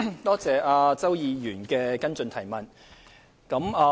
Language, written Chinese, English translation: Cantonese, 多謝周議員的補充質詢。, I thank Mr CHOW for his supplementary question